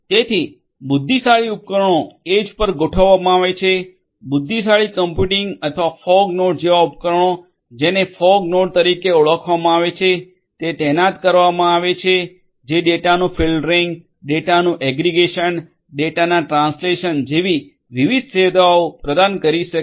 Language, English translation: Gujarati, So, intelligent devices are deployed at the edge, intelligent computing or devices such as the fog nodes, which are known as the fog nodes would be would be deployed which can offer different services such as filtering of the data, aggregation of the data, translation of the data and so on